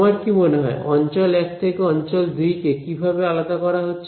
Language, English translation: Bengali, What differentiates region 1 from region 2 in your opinion